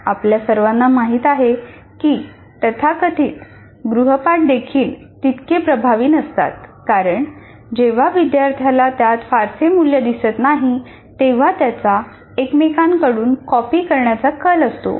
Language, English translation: Marathi, And as we all know, that even the so called home assignments are also not that very effective because when the student doesn't see much value in that, the students tend to copy from each other